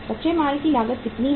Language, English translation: Hindi, The cost of raw material is how much